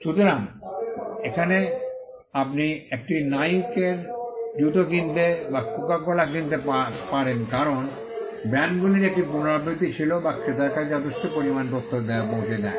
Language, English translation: Bengali, So, now you could buy a Nike shoe or purchase Coca Cola because, the brands had a repetition which conveyed quite a lot of information to the buyer